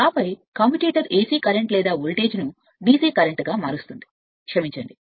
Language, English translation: Telugu, And then commutator converts AC current or voltage to a DC current right sorry